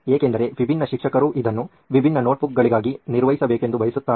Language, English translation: Kannada, Because different teachers want it to be maintained as different notebooks